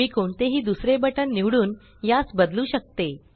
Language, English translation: Marathi, I can change this by choosing any other button